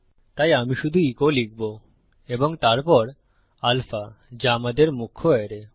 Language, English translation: Bengali, So I will just type echo and then alpha which is our main array